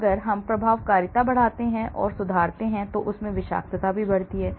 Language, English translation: Hindi, If I increase and improve efficacy then it also has toxicity